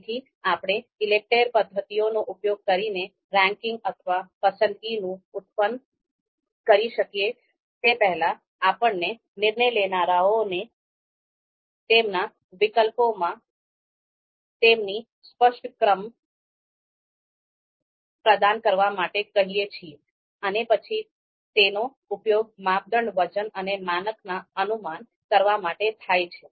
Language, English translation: Gujarati, So even before we can you know produce a you know you know ranking or you know or or choice using the ELECTRE methods, we ask decision makers to provide their you know a clear ranking you know among the alternatives and that is then used to actually you know infer the criteria weights and threshold